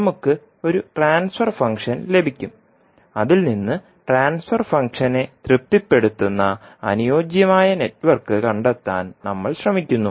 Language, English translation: Malayalam, We will get one transfer function and from that we try to find out the suitable network which satisfy the transfer function